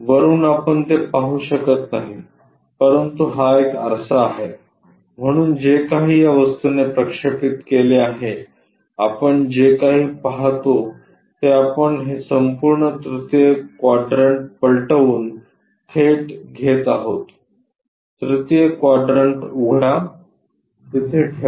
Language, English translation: Marathi, From top, you cannot see it, but because it is a mirror whatever this object projected mirror that object whatever we are going to see that we are straight away getting by flipping this entire 3rd one, open the 3rd one, keep it there